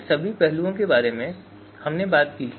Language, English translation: Hindi, All these aspects we talked about